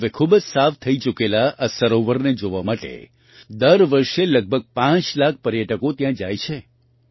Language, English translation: Gujarati, Now about 5 lakh tourists reach here every year to see this very clean lake